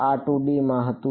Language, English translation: Gujarati, This was in 2D